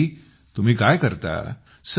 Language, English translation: Marathi, What do you do Rajesh ji